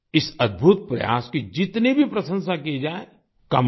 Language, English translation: Hindi, Whatever praise is showered on this wonderful effort is little